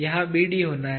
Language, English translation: Hindi, This has to be BD